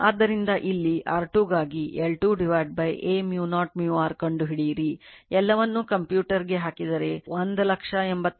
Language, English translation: Kannada, So, here similarly for R 2 you calculate L 2 upon A mu 0 mu r, all are computer substitute you will get 186509